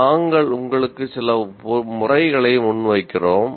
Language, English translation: Tamil, Now, let us look at some methods